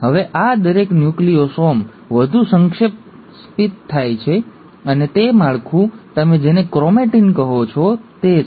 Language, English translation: Gujarati, Now each of these Nucleosomes get further condensed, and that structure is what you call as the ‘chromatin’